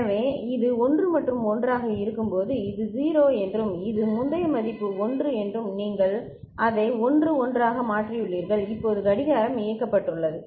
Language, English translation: Tamil, So, when it is 1 and 1 and say this is 0 and this is 1 the previous value and you have made it to 1 1 and the clock is enabled now